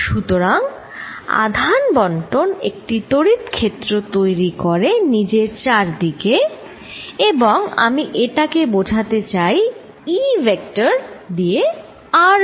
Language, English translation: Bengali, So, charge distributions creating an electric field around itself and I am going to denote it by E vector at r